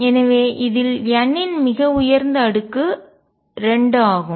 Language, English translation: Tamil, So, this highest power of n in this is 2